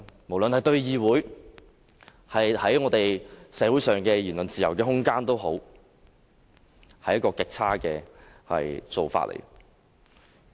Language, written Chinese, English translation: Cantonese, 無論對議會或社會的自由言論空間，這都是極差的做法。, This is very bad to the freedom of speech in this Council and in society